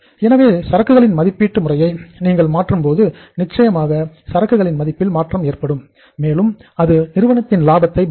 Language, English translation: Tamil, So it means when you change the method of valuation of inventory certainly there is a change in the value of the inventory and that impacts the profitability of the firm